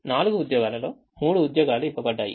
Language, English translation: Telugu, there are four jobs and three people